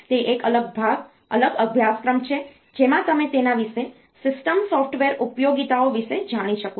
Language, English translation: Gujarati, That is a different part different course in which you can learn about it, the system software utilities